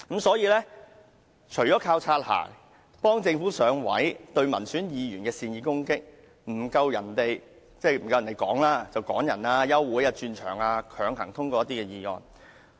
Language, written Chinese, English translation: Cantonese, 所以，除了靠"擦鞋"、幫助政府"上位"、肆意攻擊民選議員、爭辯時處下風便趕人離場、休會和轉換會議場地，以求強行通過一些議案。, Well apart from boot - licking and helping the Government strengthen its foothold they even arbitrarily attack legislators elected by the people expel Members from the meeting when they are in a disadvantageous position in the debate adjourn the meeting or change the venue of meeting in an attempt to pass certain motions forcibly